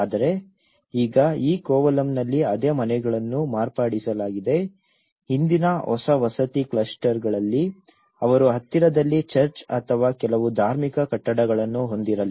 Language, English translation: Kannada, But now, the same houses have been modified in this main Kovalam, in the new housing clusters earlier, they were not having a church or some religious building in the close proximity